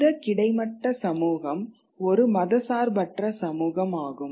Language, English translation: Tamil, And this horizontal community is a secular community